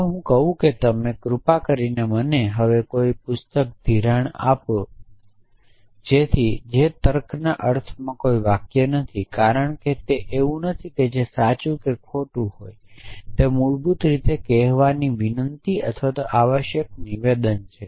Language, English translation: Gujarati, If I say can you please lend me a book now that is not a sentence in the sense of sense of logic, because it is not something which is true or false is basically a request or imperative statement in saying